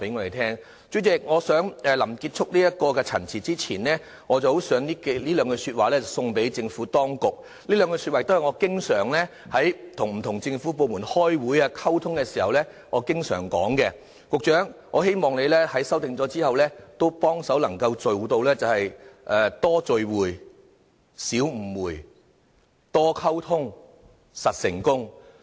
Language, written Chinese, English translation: Cantonese, 代理主席，我想在臨結束陳辭之前，以下兩句說話送贈政府當局，這兩句說話也是我與不同政府部門開會和溝通時經常使用的，局長，我希望你在作出修訂後，能夠做到"多聚會、少誤會；多溝通，實成功"。, Deputy President before I stop I would like to send some words of advice to the authorities . I often follow these words in communicating and meeting with government departments . If we meet more we can reduce misunderstandings; if we communicate more we are on the way to success